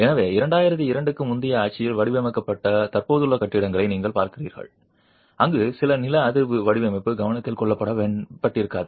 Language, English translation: Tamil, So, you are looking at existing buildings which have been designed in the pre 2002 regime where seismic design might not have been addressed at all